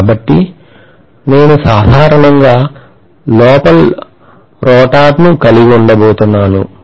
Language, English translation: Telugu, So I am going to have a rotor somewhere inside